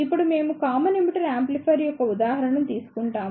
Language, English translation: Telugu, Now, we will take an example of Common Emitter Amplifier